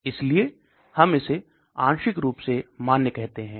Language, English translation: Hindi, So that is why we call it partially validated